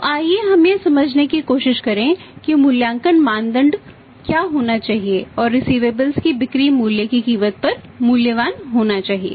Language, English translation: Hindi, So, let us try to understand that what should be the valuing criteria whether the receivable this should be valued at the cost of the selling price